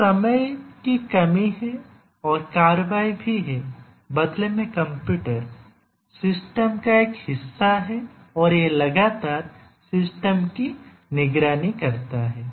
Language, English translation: Hindi, So, there is a time constraint and the action and also the computer is part of the system and it continuously monitors the system